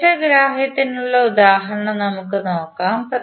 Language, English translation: Malayalam, Let us see the example for better understanding